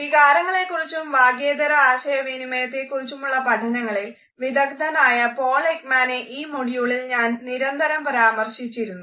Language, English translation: Malayalam, In this module, I have repeatedly referred to the work of Paul Ekman who is a renowned expert in emotions research, a non verbal communication